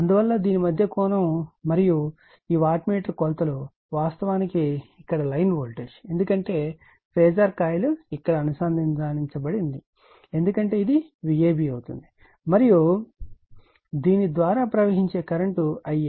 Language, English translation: Telugu, Therefore angle between this , and these wattmeter measures actually , looks the line voltage here because it is phasor coil is connected here it will V a b because right and the current flowing through this is I a